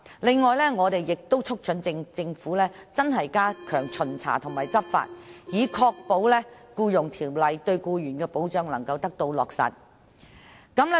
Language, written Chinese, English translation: Cantonese, 此外，我們亦促請政府認真地加強巡查和執法，以確保《僱傭條例》對僱員的保障得以落實。, Moreover we urge the Government to seriously step up inspections and law enforcement to ensure that the protection for employees under the Employment Ordinance can be implemented